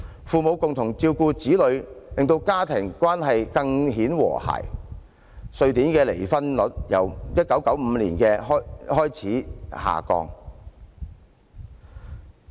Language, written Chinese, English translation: Cantonese, 父母共同照顧子女，令家庭關係更顯和諧，瑞典的離婚率也由1995年開始下降。, Taking care of children by both parents is conducive to more harmonious family relationship and divorce rate in Sweden has thus been declining since 1995